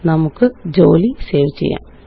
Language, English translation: Malayalam, Let us save our work